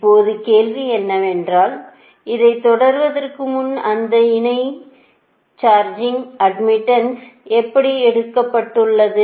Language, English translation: Tamil, now, question is that, before proceeding that, how will take that line, charging admittance